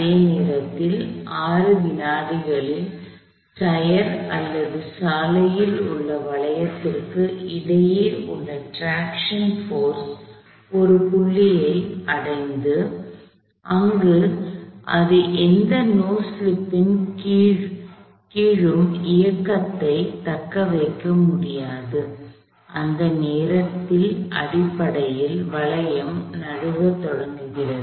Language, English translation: Tamil, At a time instant of 6 seconds the attraction force between the tyre or the hoop on the row reach the point, where it could move long the sustain motion and the no slip and that point essentially the hoop started to slip